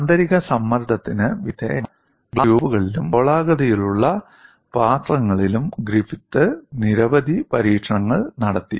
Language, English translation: Malayalam, Griffith carried out a series of experiments on glass tubes and spherical vessels subjected to internal pressure, p